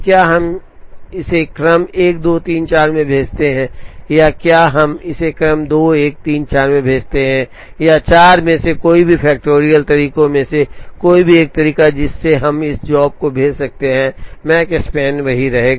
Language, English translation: Hindi, Whether we send it in the order 1 2 3 4 or whether we send it in the order 2 1 3 4 or any one of the 4 factorial ways by which, we can send this job, the Makespan is going to remain the same